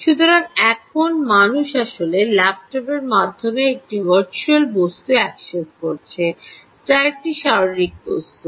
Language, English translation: Bengali, so now the human is actually accessing a virtual object through the laptop, which is a physical object